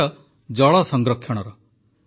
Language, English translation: Odia, It is the topic of water conservation